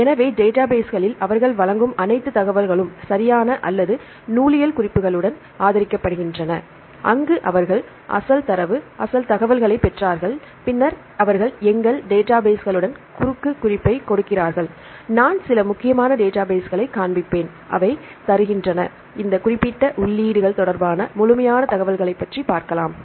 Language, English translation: Tamil, So, all the information they provide in the database right or supported with bibliographic references, where they obtained the original data, original information then they give the cross reference with a lot of our databases I will show some of the important databases and they give the complete information regarding this particular entries